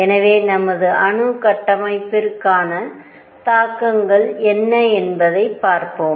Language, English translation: Tamil, Let us see what are its is implications for our atomic structure